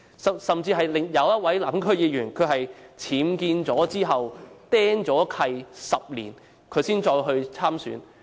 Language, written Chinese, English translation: Cantonese, 更甚者，一位南區區議員在僭建後被"釘契 "10 年才參選。, What is even worse is a Southern District Council member is now running in an election after he has been imposed an encumbrance for 10 years for UBWs